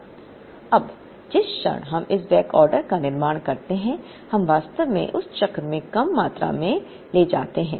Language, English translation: Hindi, Now, the moment we build this backorder, we are actually going to carry lesser quantity in that cycle